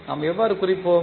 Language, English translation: Tamil, How we will represent